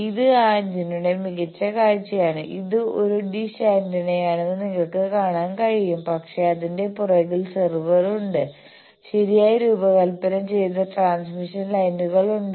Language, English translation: Malayalam, This is a better view of that antenna and you can see it is a dish antenna, but there are serve on the back of it, there are transmission lines properly designed